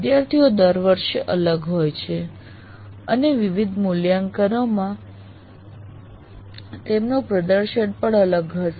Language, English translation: Gujarati, First thing is students are different every year and their performance in different assessment will also differ